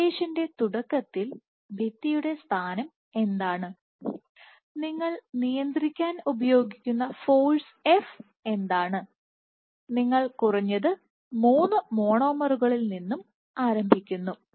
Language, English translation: Malayalam, So, the other thing that you start with is the position of the wall what is the position of the wall at the start of the simulation and what is the force f with which you are restraining, so your minimum you are starting with 3 monomers